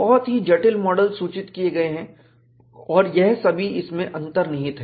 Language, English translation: Hindi, And very complex models are listed and these are all embedded in this